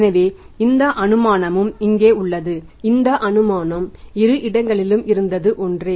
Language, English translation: Tamil, So these first two assumptions are same in both the models